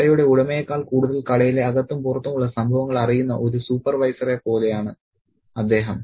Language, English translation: Malayalam, He is like a supervisor who knows the happenings of the shop inside out more than the owner of the store